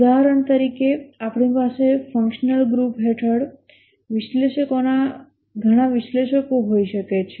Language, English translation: Gujarati, For example we might have analysts, several analysts under the functional group